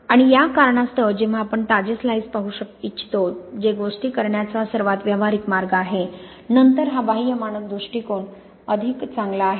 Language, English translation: Marathi, And for this reason when you want to look at fresh slices which is the most practical way of doing things, then this external standard approach is much better